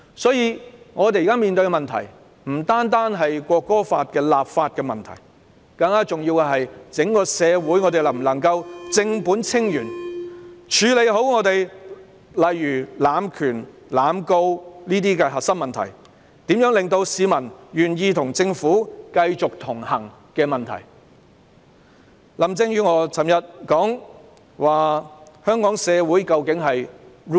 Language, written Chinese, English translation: Cantonese, 所以，我們現時面對的問題不單是《條例草案》的立法問題，更重要的是整個社會能否正本清源，處理好本港的濫權、濫告等核心問題，以及如何令市民願意繼續與政府同行。, Therefore the problem faced by us now concerns not only the legislative issues of the Bill . More importantly it concerns whether the entire society can properly deal with the core problems in Hong Kong such as abuse of power and indiscriminate prosecution at root and how to convince members of the public to continue to connect with the Government